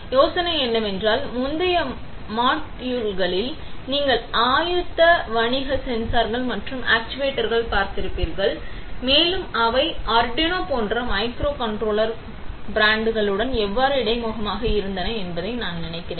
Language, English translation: Tamil, The Idea is, I think in the previous modules you have seen readymade commercial sensors and the actuators and how they have been interface with micro controller broads like arduino etcetera